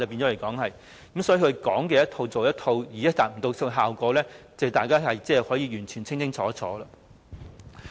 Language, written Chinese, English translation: Cantonese, 因此，他說一套，做一套，已無法達到效果，這是大家完全可以清清楚楚看到的。, Therefore his trickery of saying and doing different things can no longer work . This is something we can all see very clearly